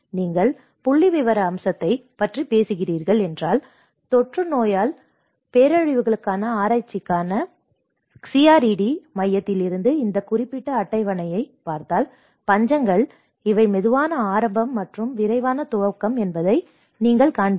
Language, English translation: Tamil, If you are talking about the statistical aspect, if you look at this particular table from the CRED Center for research in Epidemiology Disasters, you will see that the famines, these are the slow onset and the rapid onset